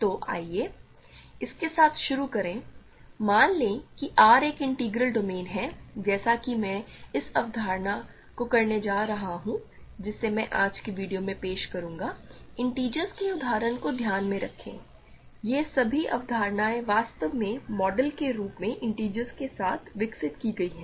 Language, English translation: Hindi, So, let us start with this, let R be an integral domain; as I am going to do this concepts that I will introduce in today’s video, keep in mind the example of the integers, all these concepts are actually developed with integers as the model